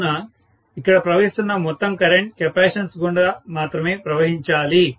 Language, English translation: Telugu, So, the entire current that is flowing here has to flow only through the capacitance